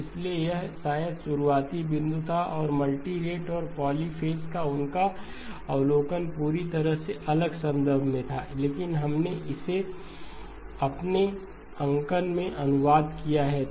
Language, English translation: Hindi, So that was probably the opening point and his observation of multirate and polyphase was in a completely different context, but we have translated it into our notation